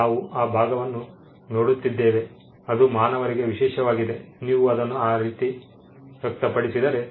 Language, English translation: Kannada, We are looking at that part, which is special to human beings, if you need to put it that way